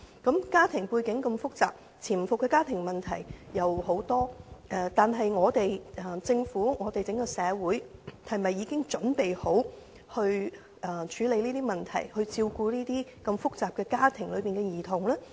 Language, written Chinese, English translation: Cantonese, 在家庭背景如此複雜的情況下潛伏很多家庭問題，但政府和整個社會是否已準備好處理這些問題，照顧在複雜家庭中長大的兒童呢？, Against such a complicated family background there are many underlying familial problems but is the Government and the whole society ready to deal with these problems and take care of children who grow up in such complicated families?